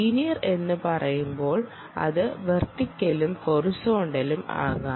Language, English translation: Malayalam, when you say linear, you can be vertical and horizontal